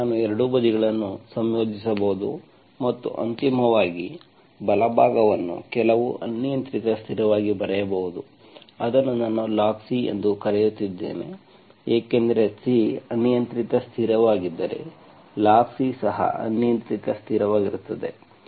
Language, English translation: Kannada, Now I can integrate both sides and finally write the right hand side as some arbitrary constant which I am calling log C because if C is an arbitrary constant, log C is also an arbitrary constant